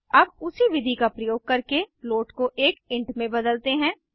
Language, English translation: Hindi, Now let us convert float to an int, using the same method